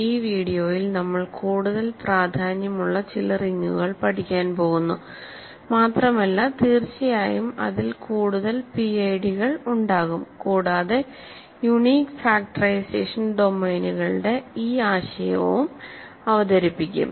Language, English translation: Malayalam, So, in this video we are going to study a more important class in some sense of rings and more general class certainly it includes PIDs, is this notion of Unique Factorization Domains